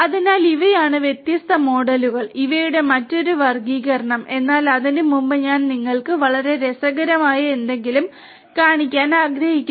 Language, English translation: Malayalam, So, these are the different models another classification of these, but before that I wanted to show you something very interesting